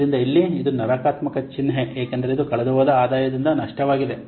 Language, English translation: Kannada, So here it is negative sign because this is loss due to the lost revenue